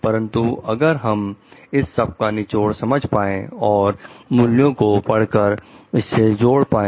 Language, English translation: Hindi, But if we get to understand the essence and we get to study the values connected to it